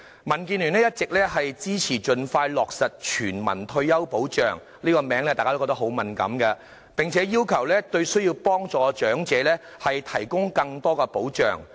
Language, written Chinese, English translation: Cantonese, 民建聯一直支持盡快落實全民退休保障——這是個敏感的議題——並要求對需要幫助的長者提供更多保障。, DAB has all along supported the expeditious implementation of universal retirement protection―this is a sensitive subject―and called for more protection for the elderly in need